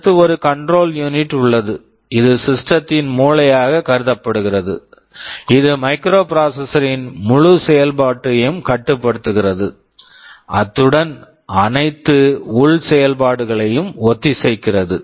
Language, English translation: Tamil, And of course, there is a control unit which can be considered as the brain of the system, which controls the entire operation of the microprocessor, it synchronizes all internal operations